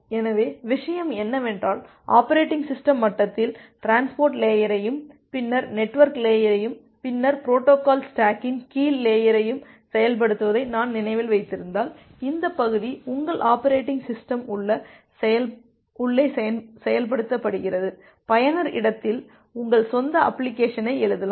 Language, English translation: Tamil, So, the thing is that if you again remember that at the operating system level, I have the implementation of the transport layer and then the network layer and then the lower layer of the protocol stack and this part is implemented in your inside your operating system and in the userspace you can write your own application